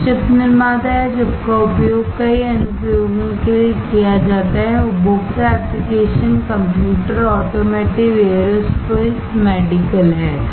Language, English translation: Hindi, So, chip manufacturer or chip are used for several application, the consumer applications are computers, automotive, aerospace, medical